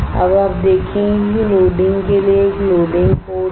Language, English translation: Hindi, Now you see there is a loading port for loading